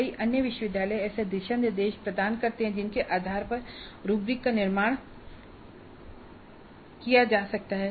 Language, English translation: Hindi, Many other universities do provide the kind of a guidelines based on which the rubrics can be constructed